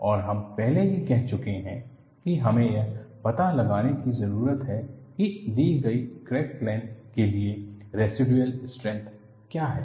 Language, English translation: Hindi, And we have already said, that we need to find out, for a given crack length, what is the residual strength